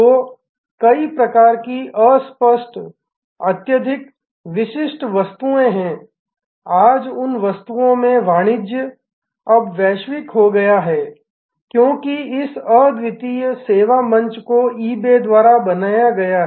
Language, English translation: Hindi, So, there are many types of obscure highly specialized items, today the commerce in those items have now become global, because of this unique service platform that has been created by eBay